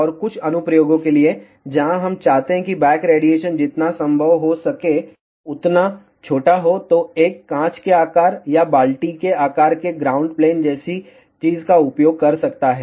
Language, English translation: Hindi, And for certain applications, where we want back radiation to be as small as possible, then one can use something like a glass shape or a bucket shaped ground plane